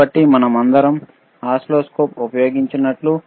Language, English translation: Telugu, So, like we have all used oscilloscope, right